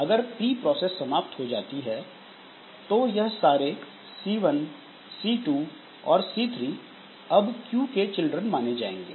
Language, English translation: Hindi, So, if this process dies, then make all this C1, C2, C3 as children of this Q process